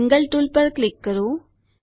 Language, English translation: Gujarati, Click on the Angle tool..